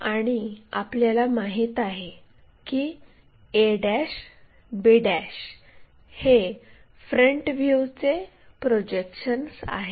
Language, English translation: Marathi, So, we know a ' b ' is the front view projection